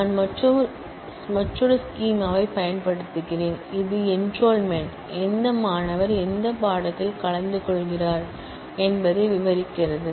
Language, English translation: Tamil, I use another schema, which is enrolment, which describes which student is attending which course